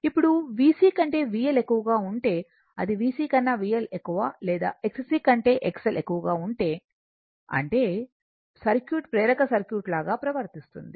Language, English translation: Telugu, Now, if it is given that if V L greater than V C, that is V L greater than V C or if X L greater than X C right, that means, circuit will behave like inductive circuit